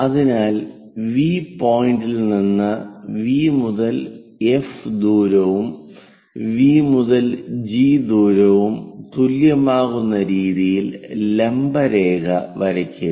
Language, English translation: Malayalam, So, from V point draw a perpendicular line in such a way that V to F whatever the distance, V to G also same distance, we will be having